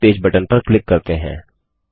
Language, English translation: Hindi, Lets click on the homepage button